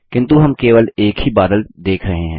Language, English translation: Hindi, But we can see only one cloud